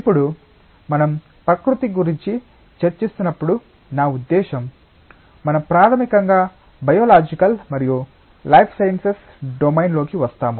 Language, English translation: Telugu, Now, when we discuss about nature I mean we basically come in to the domain of biological sciences and a life sciences